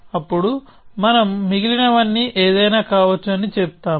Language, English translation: Telugu, Then we say that everything else could be anything